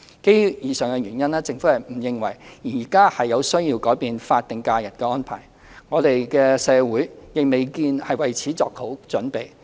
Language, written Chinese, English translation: Cantonese, 基於以上原因，政府不認為現時有需要改變法定假日的安排，我們的社會亦未見已為此作好準備。, On account of the above reasons the Government does not consider it necessary to change the arrangement for statutory holidays at the moment; neither does it seem that society is ready for it